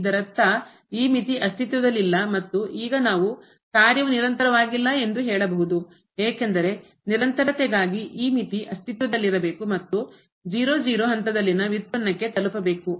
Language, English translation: Kannada, So; that means, this limit does not exist and now we can just say that the function is not continuous because for continuity this limit should exist and should approach to the derivative at 0 0 point